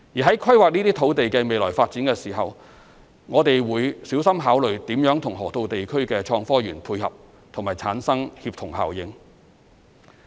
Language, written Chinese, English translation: Cantonese, 在規劃這些土地的未來發展時，我們會小心考慮如何與河套地區的創科園配合及產生協同效應。, In planning the future development of this land area we will carefully consider how to tie in the development with HSITP in the Loop to achieve synergy